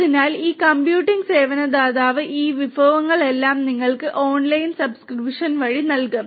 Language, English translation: Malayalam, So, this computing service provider will give you all these resources through online subscription